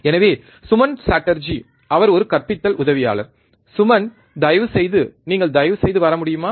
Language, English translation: Tamil, So, Suman Chatterjee he is a teaching assistance, Suman, please can you please come